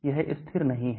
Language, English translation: Hindi, It is not constant